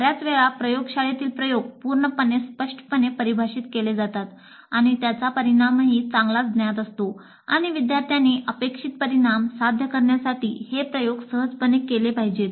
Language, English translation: Marathi, Most of the time the laboratory experiments are totally well defined and the outcome is also well known and the students are expected to simply carry out the experiment to ensure that the stated outcome is achieved